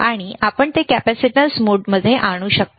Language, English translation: Marathi, And you can bring it to capacitance mode